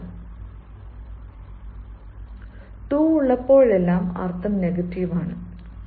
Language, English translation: Malayalam, so whenever there is two, two, the meaning is negative